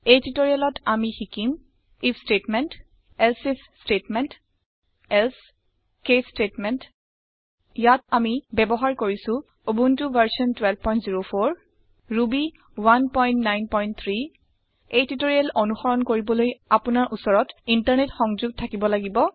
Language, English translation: Assamese, In this tutorial we will learn to use if statement elsif statement else case statements Here we are using Ubuntu version 12.04 Ruby 1.9.3 To follow this tutorial, you must have Internet Connection